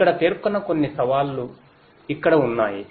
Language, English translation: Telugu, Here are some of these challenges that are mentioned